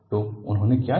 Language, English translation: Hindi, So, what he did